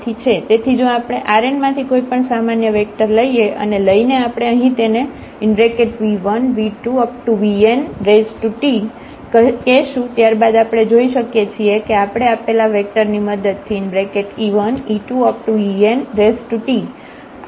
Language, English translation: Gujarati, So, if we take a general any vector from this R n and which we are calling here v 1 v 2 v 3 v n then we can see that we can represent this vector with the help of these given vectors e 1 e 2 e n